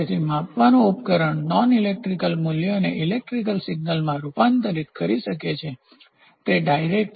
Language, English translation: Gujarati, So, a measuring device the transform non electrical value into electrical signal is direct